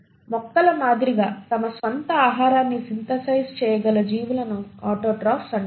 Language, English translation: Telugu, Organisms which can synthesise their own food like plants are called as autotrophs